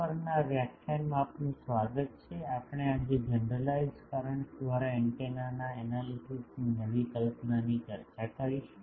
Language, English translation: Gujarati, Welcome to this lecture on NPTEL, we will today discuss a new concept the Analysis of Antennas by Generalised currents